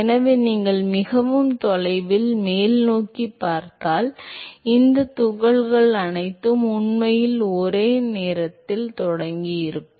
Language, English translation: Tamil, So, if you look very far away upstream, all of these particles would have actually started at the same time